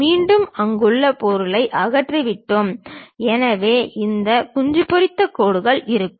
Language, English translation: Tamil, Again we have removed material there; so we will be having this hatched lines